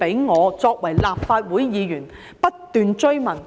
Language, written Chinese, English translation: Cantonese, 我作為立法會議員不斷追問。, As a Legislative Council Member I keep asking these questions